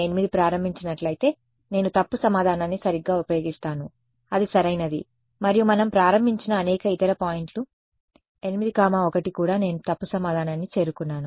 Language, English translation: Telugu, If I started 0 8 then I use the wrong answer right that is correct and many other points we have started 8 comma 1 also I reach the wrong answer